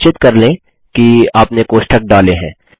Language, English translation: Hindi, Make sure you put the brackets